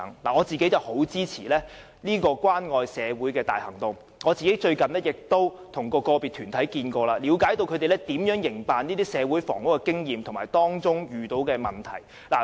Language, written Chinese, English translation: Cantonese, 我十分支持這關愛社會的大行動，而最近亦曾與個別團體會面，了解他們營辦這類社會房屋的經驗及所遇到的問題。, I am very supportive of this community caring movement and have recently met with individual organizations to gain a better understanding of their experiences in launching this social housing initiative and the problems encountered